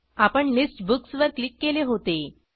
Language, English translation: Marathi, We clicked on List Books